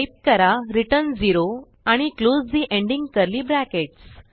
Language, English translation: Marathi, Type return 0 and close the ending curly bracket